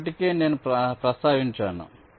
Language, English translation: Telugu, ok, so this already i have mentioned